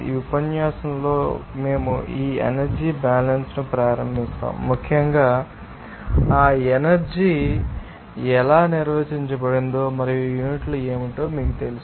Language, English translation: Telugu, We will start this energy balance in this lecture especially for the you know that how that energy has been defined and also what are the units